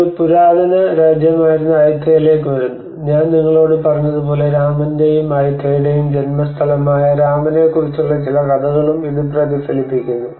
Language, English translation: Malayalam, And then we come to the Ayutthaya which is has been an ancient kingdom as I said to you it also reflects some stories about the Rama the birthplace of Rama and Ayutthaya